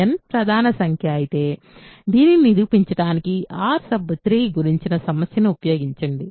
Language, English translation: Telugu, If n is a prime number, use the problem about R 3 to prove this